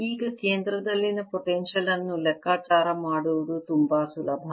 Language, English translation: Kannada, now, potential at a center is very easy to calculate